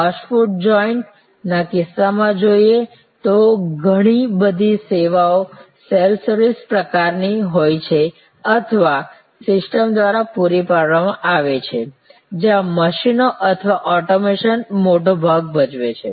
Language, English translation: Gujarati, In case of say fast food joint, because a lot of the services there are either of the self service type or provided by systems, where machines or automation play a big part